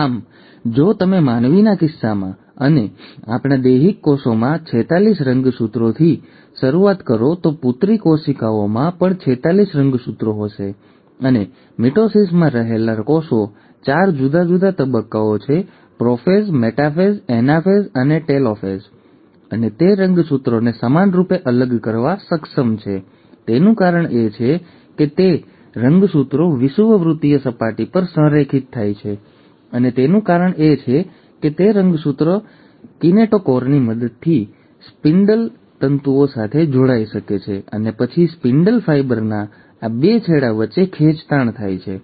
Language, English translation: Gujarati, So if you start with forty six chromosomes as in case of human beings, and in our somatic cells, the daughter cells will also have forty six chromosomes, and, the cells in mitosis, there are four different stages; prophase, metaphase, anaphase and telophase, and the reason it is able to segregate the chromosomes equally is because the chromosomes align at the equatorial plane and that is because the chromosomes can attach to the spindle fibres with the help of kinetochore and then there is a tug of war between the two ends of the spindle fibre